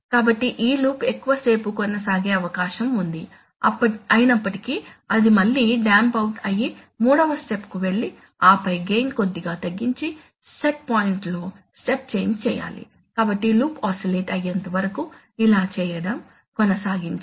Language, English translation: Telugu, So then it may happen that this loop will tent to persist for longer time, still it damps out, so still it damps out, again go to step 3 and then reduce gain little bit and make a step change in set points, so go on doing this till the loop oscillates